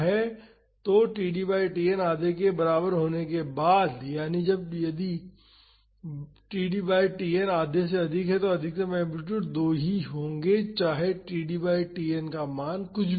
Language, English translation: Hindi, So, after td by Tn is equal to half that is if td by Tn is more than half, then the maximum amplitude will be two irrespective of the value of the td by Tn